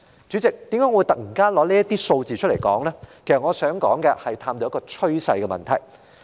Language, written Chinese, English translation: Cantonese, 主席，我之所以談論這些數字，是因為我想探討趨勢的問題。, President I am talking about these figures because I wish to explore the meaning behind the tendencies as shown in the figures